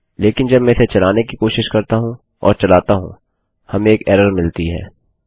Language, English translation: Hindi, But when I try and run this, we get an error